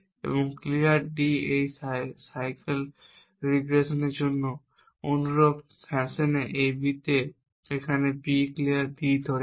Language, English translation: Bengali, And clear D in the similar fashion for this cycle regress to on A B is here holding B clear D